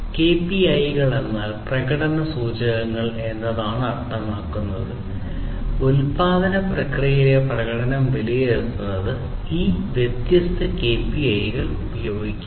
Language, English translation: Malayalam, KPIs means key performance indicators so, use of these different KPIs to assess the performance in the production process